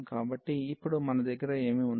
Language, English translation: Telugu, So, what do we have now